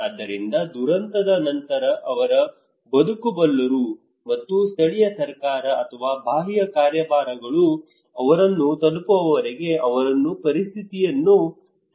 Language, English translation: Kannada, So that just after the disaster they can survive they can manage the situation okay and until and unless the local government or external agencies are able to reach to them